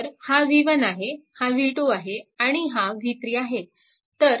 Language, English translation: Marathi, So, v 1 actually v 1 actually is equal to v